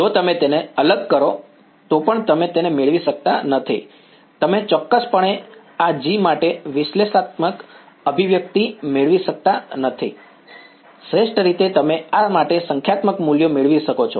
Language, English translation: Gujarati, Even if you discretize it you cannot get a you can definitely not get a analytical expression for this G at best you can get numerical values for this